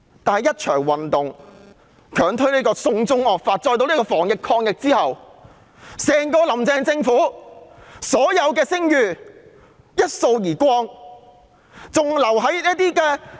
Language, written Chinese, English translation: Cantonese, 但一場反對強推"送中惡法"的運動，加上防疫抗疫的表現，整個"林鄭"政府的所有聲譽一掃而光。, But the movement of opposition to the push for the draconian China extraction law coupled with the anti - epidemic performance has completely tarnished the reputation of Carrie LAMs Government as a whole